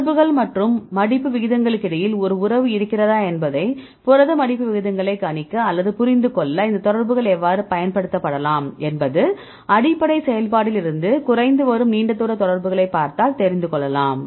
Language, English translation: Tamil, So, now we will see; how these contacts it can be used for predicting or understanding protein folding rates whether there is a relationship between the contacts and the folding rates right basically yes right because if you see the more number of long range contacts that will slows from the process, right, we will see it